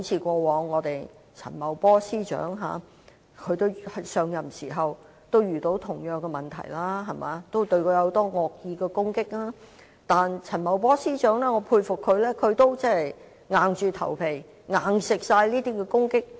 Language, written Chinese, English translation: Cantonese, 正如陳茂波司長在上任後亦遇過相同的問題，面對很多惡意攻擊，但我很佩服當時陳茂波司長硬着頭皮接受所有惡意攻擊。, When Financial Secretary Paul CHAN first took office he also had similar problems and had to face many malicious attacks but to my great admiration he bit the bullets and faced these attacks